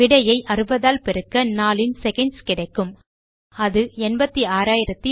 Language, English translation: Tamil, And then multiply the answer by 60 to get the number of seconds in a day which is 86,400